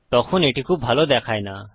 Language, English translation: Bengali, Then these dont look too nice